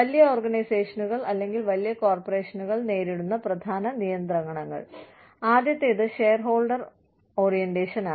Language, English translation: Malayalam, Main constraints, that large organizations face, or large corporations face are, first is shareholder orientation